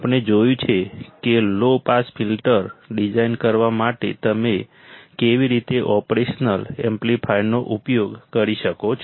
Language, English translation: Gujarati, We have seen how you can use an operational amplifier for designing the low pass filter